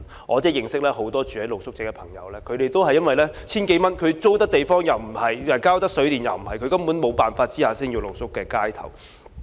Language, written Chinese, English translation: Cantonese, 我認識很多露宿者都是因為這千多元根本不足以應付租金或水電費用，在沒有辦法下只能露宿街頭。, I know many street sleepers cannot but sleep in the street because this 1,000 - odd is simply not enough to pay the rent or water and electricity tariffs